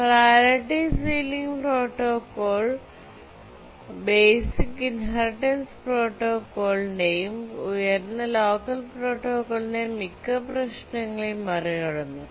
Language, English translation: Malayalam, The priority sealing protocol overcame most of the problem of the basic inheritance protocol and the highest locker protocol